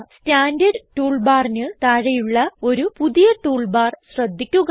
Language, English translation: Malayalam, Notice a new toolbar just below the Standard toolbar